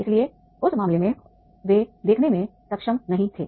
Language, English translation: Hindi, So therefore in that case they were not able to see